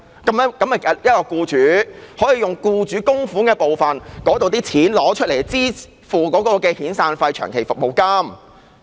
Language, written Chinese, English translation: Cantonese, 那便是僱主可以使用僱主供款的部分，用作支付僱員的遣散費和長期服務金。, Under the mechanism employers can use their contributions to pay severance payment and long service payment to employees